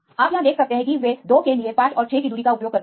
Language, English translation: Hindi, You can see the distance here they use the distance of 5 and 6 right for the case of 2